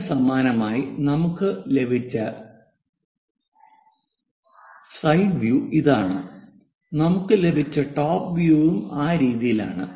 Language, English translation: Malayalam, For this one similarly, the side view what we got is this one and the top view what we got is in that way